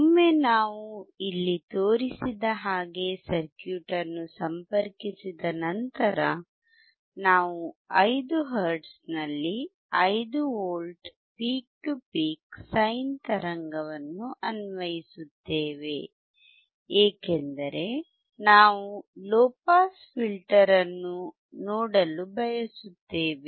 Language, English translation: Kannada, Once we connect the circuit shown here, we will apply a 5V peak to peak sine wave at 10 hertz because we want to see low pass filter